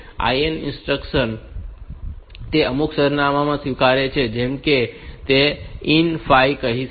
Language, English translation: Gujarati, The IN instruction it accepts IN some address like you can say IN 5